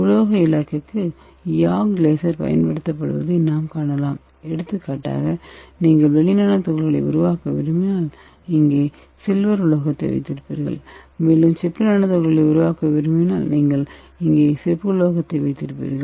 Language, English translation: Tamil, So this animation will give a clear idea how the laser ablation works can see here this YAG laser is applied to the metal target for example if you want to make the silver nano particle you will be keeping this sliver metal here and if you want to make the copper nano particle you will be keeping the copper metal here